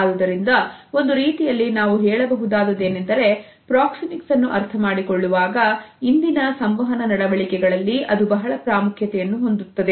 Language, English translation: Kannada, So, in a way we can say that the proxemic understanding has an over reaching significance in our today’s communicating behavior